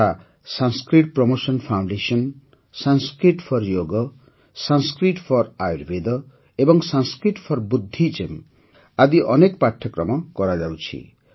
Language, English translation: Odia, Such as Sanskrit Promotion foundation runs many courses like Sanskrit for Yog, Sanskrit for Ayurveda and Sanskrit for Buddhism